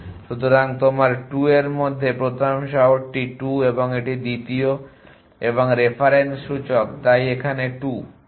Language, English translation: Bengali, So the first city in you 2 is 2 and that is second and the reference index so you right 2 here